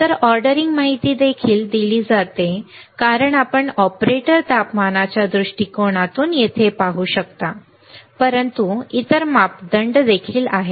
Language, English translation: Marathi, So, to the ordering information is also given as you can see here right from the temperature point of view from the operator temperature point of view, but there are other parameters also